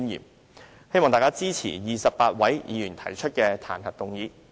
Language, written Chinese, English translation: Cantonese, 我希望大家支持28位議員提出的彈劾議案。, I hope Members will support the impeachment motion initiated by the 28 Members